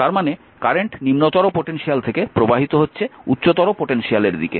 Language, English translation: Bengali, Because current is flowing from lower potential to higher potential, right